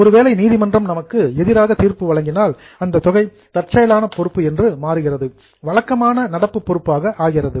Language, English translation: Tamil, If court gives decision against us, it becomes a contingent, it becomes our regular current liability